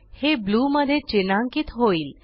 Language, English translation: Marathi, It gets highlighted in blue